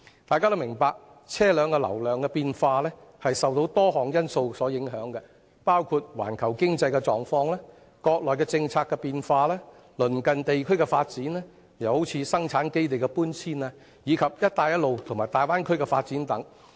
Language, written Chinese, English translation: Cantonese, 大家均明白，車流量的高低受到多項因素影響，包括環球經濟狀況、國內的政策變化、鄰近地區的發展，例如生產基地的搬遷，以及"一帶一路"和大灣區的發展等。, We all know that the traffic throughput is affected by numerous factors including the global economic conditions changes in the policy of the Mainland and the development of the neighbouring regions such as relocation of the manufacturing base as well as development in relation to the Belt and Road Initiative and the Bay Area etc